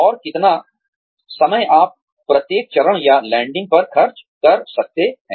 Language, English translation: Hindi, And the time, you can spend at, each step or landing